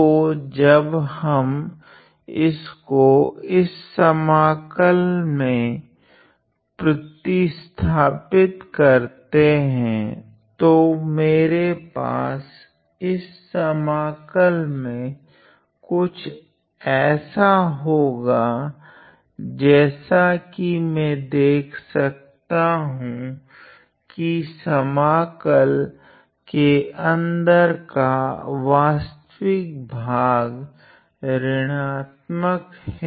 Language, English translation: Hindi, So, when we substitute this value in this integral I am going to get something inside this integral such that what I see is that the real part of this thing inside this integral the real part is negative